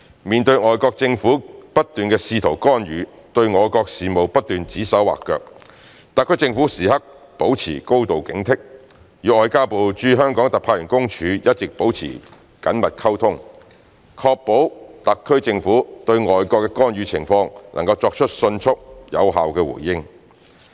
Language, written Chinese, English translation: Cantonese, 面對外國政府不斷的試圖干預，對我國事務不斷指手劃腳，特區政府時刻保持高度警惕，與外交部駐香港特派員公署一直保持緊密溝通，確保特區政府對外國的干預情況能夠作出迅速、有效的回應。, Facing constant attempts by foreign governments to intervene and dictate how our countrys affairs should be run the SAR Government is always on full alert and has been maintaining close communication with the Office of the Commissioner of the Ministry of Foreign Affairs in the Hong Kong Special Administrative Region to ensure its ability to respond swiftly and effectively to foreign interventions